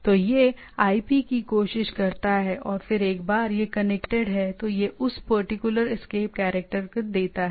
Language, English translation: Hindi, So, it tries to the IP and then once it is connected, then it gives that particular escape character